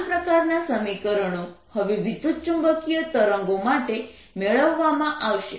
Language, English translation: Gujarati, exactly similar equations are now going to be obtained for ah electromagnetic waves